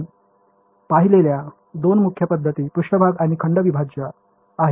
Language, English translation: Marathi, Two main methods that we have seen are surface and volume integrals